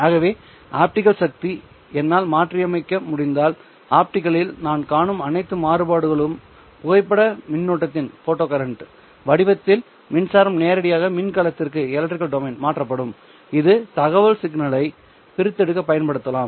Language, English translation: Tamil, So if I can modulate the optical power itself then all the variations that I am seeing in the optical power will be directly transferred to the electrical domain in the form of the photo current which can then be used in order to extract the information signal